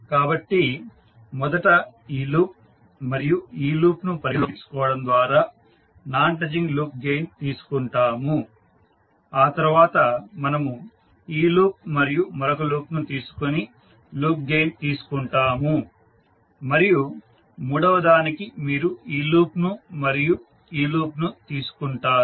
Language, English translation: Telugu, Similarly, for others also you can write, so first we will take non touching loop gain by considering this loop and this loop then we take the loop gain by taking this loop and the other loop and then third one you take this loop and this loop